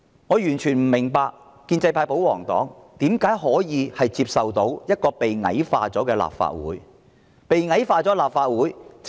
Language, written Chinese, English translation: Cantonese, 我完全不能明白建制派、保皇黨如何能夠接受一個被矮化的立法會，這只會令市民大眾......, I completely fail to understand why Members of the pro - establishment and royalist camp can accept such a proposal to degrade this Council this will only make the public